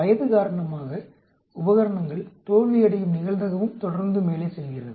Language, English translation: Tamil, , because of the age the probability of the equipment failing also keeps going up and up